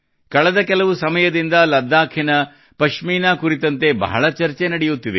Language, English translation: Kannada, Ladakhi Pashmina is also being discussed a lot for some time now